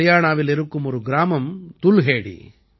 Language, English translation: Tamil, There is a village in Haryana Dulhedi